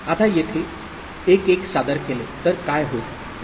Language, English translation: Marathi, Now what would happen if 1 1 was presented here